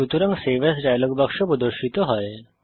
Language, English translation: Bengali, so Save As Dialog box appears